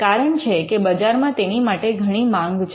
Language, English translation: Gujarati, Because there is a great demand in the market